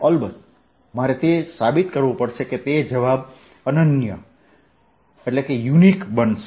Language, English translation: Gujarati, off course, i have to prove that that answer is going to be unique